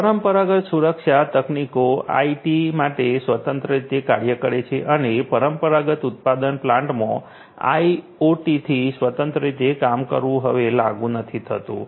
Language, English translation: Gujarati, Traditional security techniques working independently for IT and working independently of OT in the traditional manufacturing plants are no more applicable